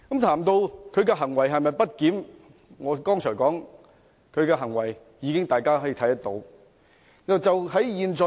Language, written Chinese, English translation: Cantonese, 至於他的行為是否不檢，正如我剛才所說，他的行為有目共睹。, As to the question of whether his acts are misbehaviour like I said just now his acts are seen by all